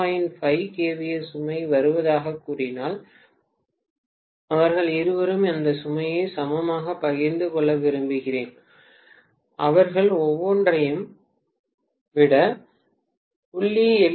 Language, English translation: Tamil, 5 kVA load coming up, I would like both of them to share that load equally, I want them to take 0